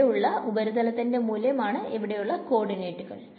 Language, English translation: Malayalam, What are on this surface over here what are the values of the coordinates right